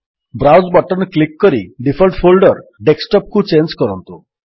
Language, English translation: Odia, Click the Browse button and change the default folder to Desktop